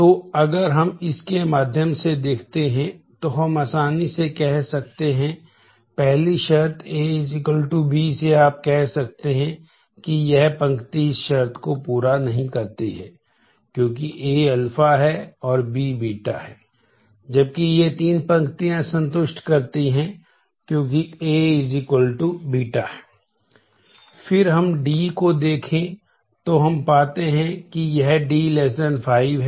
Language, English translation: Hindi, So, you can easily if we look through this we can easily say by the first condition A equal to B you can say that this row does not satisfy this condition